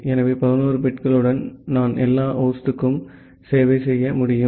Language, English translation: Tamil, So, with 11 bits, I can serve all the host